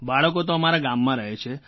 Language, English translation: Gujarati, My children stay in the village